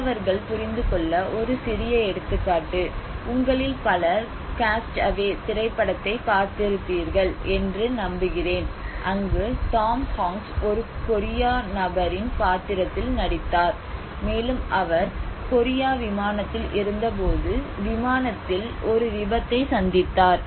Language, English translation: Tamil, A small example for the students to understand I hope many of you have seen the movie of Cast Away, where Tom Hanks played a role of a Korea person and he met with an accident in the flight while in the Korea flight